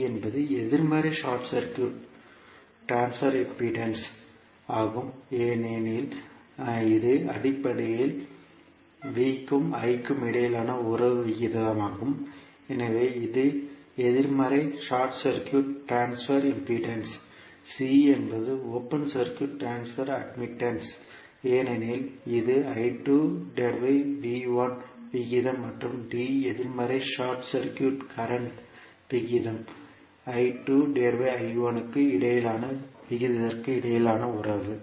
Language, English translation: Tamil, b is negative short circuit transfer impedance, because it is basically the relationship ratio between V and I, so it is negative short circuit transfer impedance, c is open circuit transfer admittance because it is V by I ratio sorry I by V ratio and then d is negative short circuit current ratio that is relationship between the ratio between I 2 and I 1